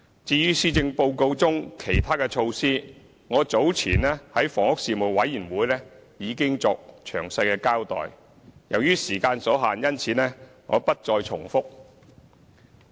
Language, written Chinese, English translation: Cantonese, 至於施政報告中其他的措施，我早前在房屋事務委員會已經作詳細的交代，由於時間所限，因此我不再重複。, As for other measures proposed in the Policy Address I already gave a detailed account of them to the Panel on Housing earlier and will not repeat them here given the time constraint